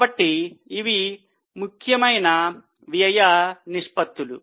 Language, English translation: Telugu, So, these were important expense ratios